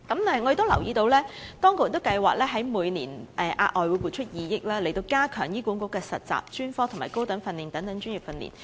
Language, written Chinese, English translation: Cantonese, 我亦留意到當局計劃未來每年額外撥出2億元，加強醫管局的實習、專科及高等訓練等專業訓練。, I also noted the additional provision of 200 million each year in the future as planned by the authorities to enhance the health care professional training provided by HA including practicum as well as specialist and higher training